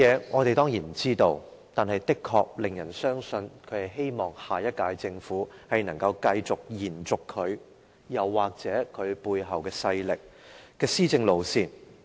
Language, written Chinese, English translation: Cantonese, 我們當然不知道他的目的，但人們卻不禁懷疑他是希望下屆政府能夠延續他，或其背後勢力的施政路線。, We of course do not know his intention but people simply cannot help suspecting that he actually wants the next Government to continue with the line of governing upheld by him or the forces behind him